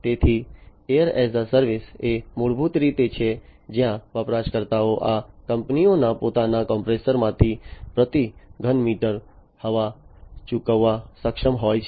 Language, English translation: Gujarati, So, air as a service is basically where users are able to pay per cubic meter of air from these companies own compressors, right